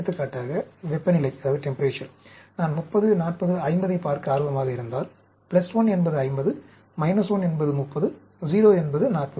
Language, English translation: Tamil, For example, temperature, if I am interested in looking at 30, 40, 50, plus 1 means 50, minus 1 means 30, 0 means 40